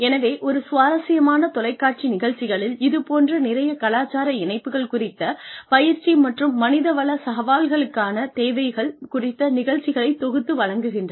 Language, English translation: Tamil, So, an interesting TV show, that sort of sums up, a lot of intercultural infusions, and needs for training and human resources challenges is